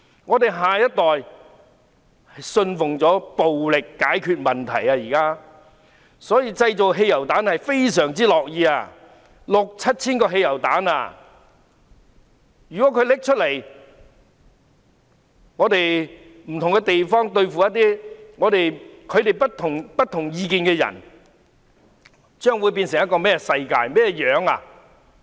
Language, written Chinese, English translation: Cantonese, 我們的下一代現在篤信暴力可以解決問題，所以非常樂意製造汽油彈，已經製造六七千個汽油彈，如果他們用來對付在不同地區的異見人士，將會變成甚麼世界呢？, They are thus more than willing to make petrol bombs . They have actually made some 6 000 to 7 000 petrol bombs . If they use the bombs against their dissenters in different districts what will the situation become?